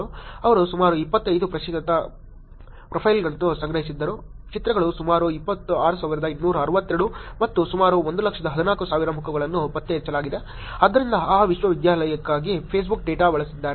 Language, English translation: Kannada, They collected about 25 percent profiles, images were about 26,262 and the face is detected were about 114000, so Facebook data for that university